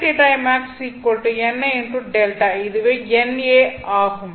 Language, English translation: Tamil, So this is n a